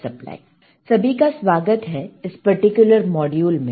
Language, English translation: Hindi, All right, welcome to this particular module